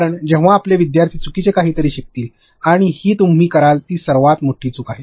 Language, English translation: Marathi, Because then your learners will learn something which is incorrect, and which is the biggest blunder you will make